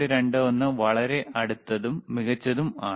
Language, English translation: Malayalam, 21 very close excellent